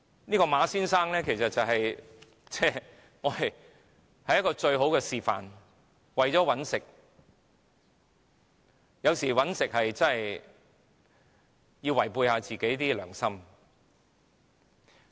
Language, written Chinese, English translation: Cantonese, 這位馬先生其實是最好的示範，為了賺錢有時候真的要違背良心。, This Mr MA has well demonstrated how to act against ones conscience for monetary gain